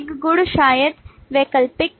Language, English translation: Hindi, A property maybe optional